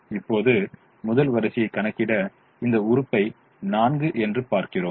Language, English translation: Tamil, now to do the first row, we look at this element, which is four